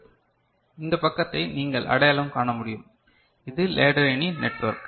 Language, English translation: Tamil, This is this side you can recognise, this is the ladder network, right